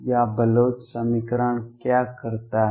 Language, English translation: Hindi, Or what does the Bloch equation do